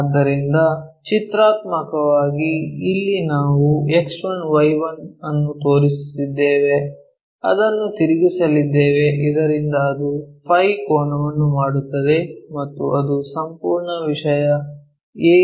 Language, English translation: Kannada, So, that pictorially here we are showing X1Y1 we are going to rotate it, so that it makes an angle phi angle with that and that entire thing is AVP plane and this view is auxiliary front view